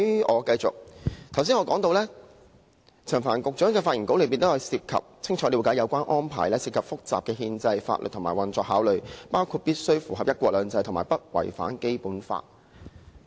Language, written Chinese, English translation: Cantonese, 我剛才提到，在陳帆局長的發言稿中提到"清楚了解有關安排涉及複雜的憲制、法律及運作考慮，包括必須符合'一國兩制'和不違反《基本法》"。, As I mentioned earlier in the speech Secretary Frank CHAN says that the SAR Government clearly understands that the arrangement involves complicated constitutional legal and operational considerations including the necessity to comply with the principle of one country two systems and to ensure no violation of the Basic Law